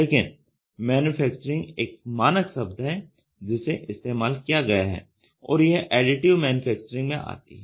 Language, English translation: Hindi, Layered manufacturing is a very standard terminology which is used which falls under Additive Manufacturing